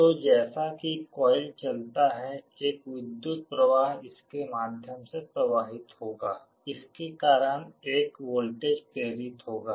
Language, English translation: Hindi, So, as the coil moves an electric current will be flowing through it, because of which a voltage will get induced